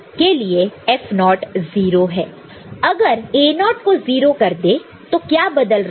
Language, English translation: Hindi, So, this is made 0, what is changing